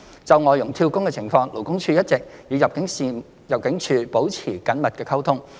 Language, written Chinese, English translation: Cantonese, 就外傭"跳工"的情況，勞工處一直與入境處保持緊密溝通。, In respect of job - hopping of FDHs LD has maintained close communication with ImmD